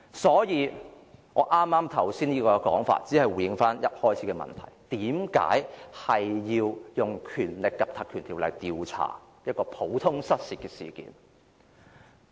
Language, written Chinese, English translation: Cantonese, 所以，我剛才這種說法只是回應一開始的問題：為何要使用《條例》調查一件普通失竊事件？, Therefore what I have said just now is only a response to the question in the beginning Why invoke the Legislative Council Ordinance to inquire into a common case of theft?